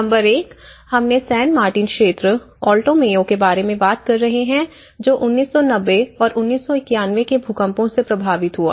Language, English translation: Hindi, Number 1 which we are talking about San Martin area, Alto Mayo which has been affected by 1990 and 1991 earthquakes